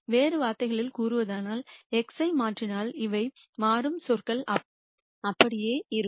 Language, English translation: Tamil, In other words if I change x these are the terms that will change this will remain the same